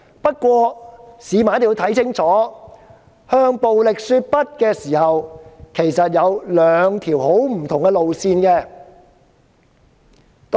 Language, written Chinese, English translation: Cantonese, 不過，市民一定要看清楚，在向暴力說不的時候，其實有兩條很不同的路線。, However in saying no to violence members of the public must be clear that there are actually two very different ways to achieve the same purpose